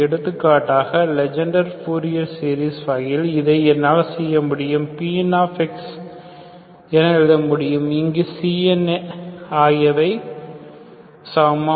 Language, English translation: Tamil, So for example, just for the sake of example I can do in this case Legendre fourier series, I can write this Pn of x where Cns are same here, okay